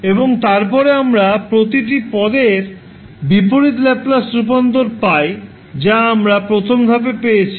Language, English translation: Bengali, And then we find the inverse Laplace transform of each term, which we have found in the first step